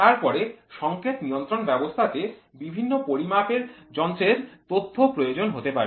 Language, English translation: Bengali, Then the signal control system may require information from many measuring instruments